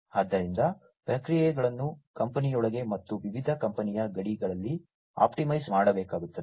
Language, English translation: Kannada, So, the processes will have to be optimized within a company, and across different company border borders